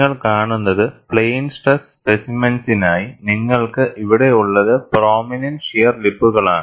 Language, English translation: Malayalam, For plane stress specimens, what you have here is, prominent shear lips